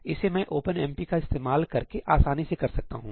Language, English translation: Hindi, here is the simplest way I can do this using OpenMP